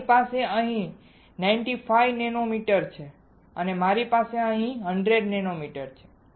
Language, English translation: Gujarati, I have here 95 nanometer I have here 100 nanometer